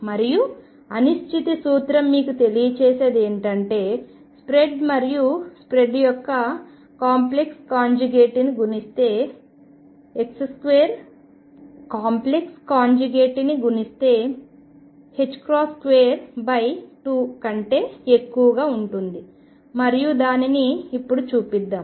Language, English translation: Telugu, And what uncertainty principle tells you is that the spread multiplied by the spread in the conjugate quantity is greater than h cross by 2, and let us now show that